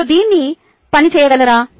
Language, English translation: Telugu, can you work it out